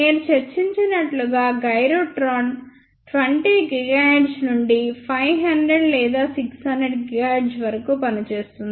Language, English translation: Telugu, As I discussed gyrotron works from 20 gigahertz to about 500 or 600 gigahertz